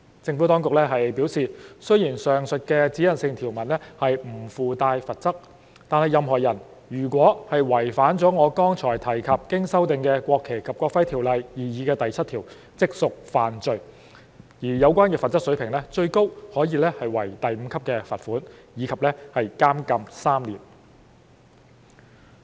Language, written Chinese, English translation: Cantonese, 政府當局表示，雖然上述指引性條文不附帶罰則，但任何人如違反我剛才提及的經修訂的《國旗及國徽條例》的擬議第7條，即屬犯罪，而有關的罰則水平最高可為第5級罰款及監禁3年。, The Administration has also advised that although the aforementioned directional provisions do not carry any penalty any person who violates the proposed section 7 of the amended NFNEO which I just mentioned would commit an offence whereas the level of penalty could be up to a fine at level 5 and to imprisonment for three years